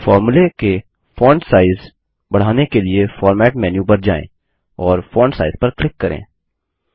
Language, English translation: Hindi, To increase the font size of the formulae, go to Format menu and click on Font Size